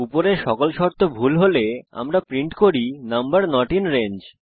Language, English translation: Bengali, If all of the above conditions are false We print number not in range